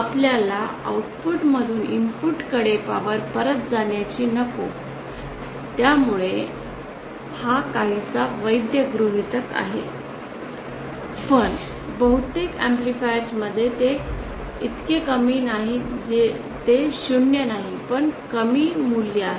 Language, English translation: Marathi, We don’t want the power to flow back from the Output to the input so this is a somewhat valid somewhat valid assumption though in most amplifiers it is not so low it is not 0 but it is a low value